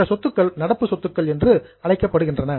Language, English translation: Tamil, These assets are known as current assets